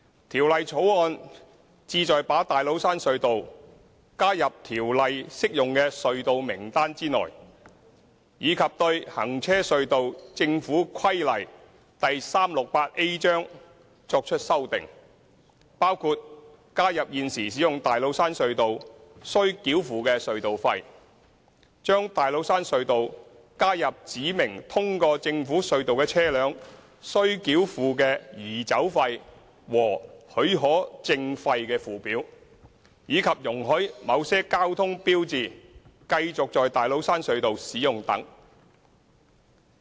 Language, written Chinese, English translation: Cantonese, 《條例草案》旨在把大老山隧道加入《條例》適用的隧道名單內，以及對《行車隧道規例》作出修訂，包括加入現時使用大老山隧道須繳付的隧道費、將大老山隧道加入指明通過政府隧道的車輛須繳付的移走費和許可證費的附表，以及容許某些交通標誌繼續在大老山隧道使用等。, The Bill seeks to add TCT into the list of applicable tunnels under the Ordinance and amend the Road Tunnels Government Regulations Cap . 368A including incorporating the existing tolls chargeable for using TCT adding TCT to the schedules of removal fee and permit fee for vehicles passing through government tunnels and allowing the continued use of certain traffic signs at TCT . The Bill also seeks to repeal the Tates Cairn Tunnel Ordinance Cap